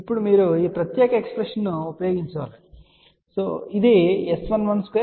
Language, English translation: Telugu, Now, be careful when you are going to use this particular expression